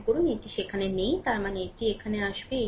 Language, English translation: Bengali, Suppose it is not there so; that means, this will come here